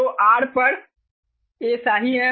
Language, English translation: Hindi, so r is royal over a